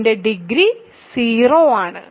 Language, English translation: Malayalam, So, its degree is 0